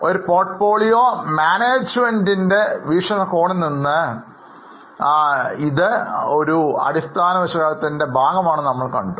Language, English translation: Malayalam, We saw that from a portfolio management angle, this is a part of fundamental analysis